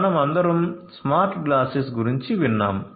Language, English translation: Telugu, So, all of us have heard about smart glasses smart glasses